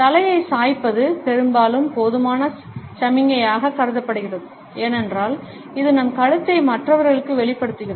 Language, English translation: Tamil, Tilting the head is often considered to be a sufficient signal, because it exposes our neck to other people